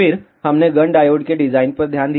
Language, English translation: Hindi, Then we will looked at the design of Gunn diode